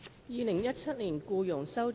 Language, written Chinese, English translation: Cantonese, 《2017年僱傭條例草案》。, Employment Amendment No . 2 Bill 2017